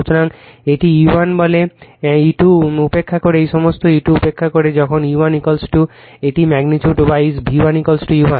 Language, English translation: Bengali, So, this is your what you call E 1, E 2 neglect all this E 2 neglect all this when E 1 is equal to it is the magnitude wise V 1 is equal to E 1